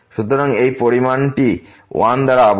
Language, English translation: Bengali, So, this is this quantity is bounded by 1